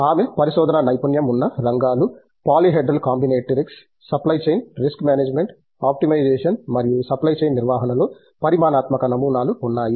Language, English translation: Telugu, Her areas of research, areas of expertise include polyhedral combinatorics, supply chain, risk management, optimization and quantitative models in supply chain management